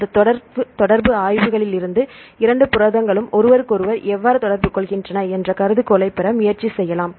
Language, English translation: Tamil, So, from this interaction studies, we can try to derive the hypothesis how the two proteins interact with each other